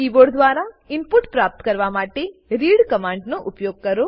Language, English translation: Gujarati, The read command is used to accept input from the keyboard